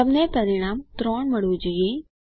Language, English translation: Gujarati, You should get the result as 3